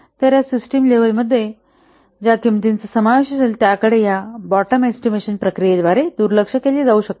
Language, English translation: Marathi, So, the cost that will be involved in these system level cost may be overlooked by this bottom of estimation process